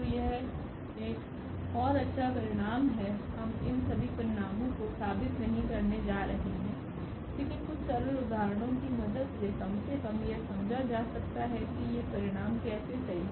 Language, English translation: Hindi, So, that is a another nice results we are not going to prove all these results, but one can with the help of some simple examples one can at least get some idea that how these results are true